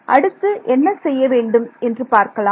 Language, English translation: Tamil, So, let us see what happens here